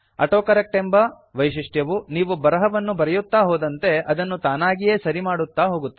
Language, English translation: Kannada, AutoCorrect feature automatically corrects text as you write